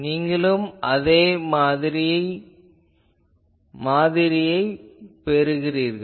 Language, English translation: Tamil, You will see that here also you are getting the same pattern